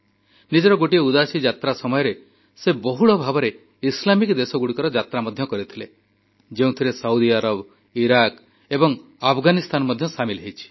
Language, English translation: Odia, During one Udaasi, he widely travelled to Islamic countries including Saudi Arabia, Iraq and Afghanistan